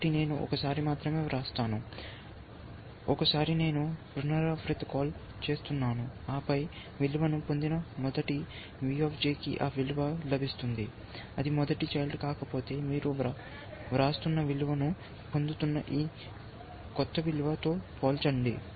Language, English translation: Telugu, So, I am just writing in once, so once I making a recursive call, and then if the first one of course that gets the value, V J gets that value, if it is not the first child, then you compare with the current value, and this new value that you are getting